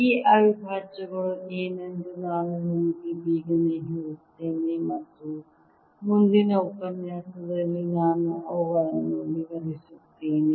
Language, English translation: Kannada, let me quickly tell you what these integrals will be and i'll explain them in the next lecture